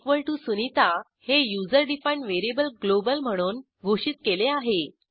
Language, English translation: Marathi, username=sunita is the userdefined variable and it is declared globally